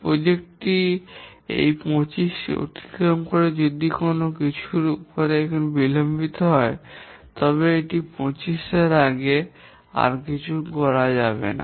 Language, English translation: Bengali, The project may exceed 25 if some of the paths, some of the tasks you are get delayed, but it will not be done any earlier than 25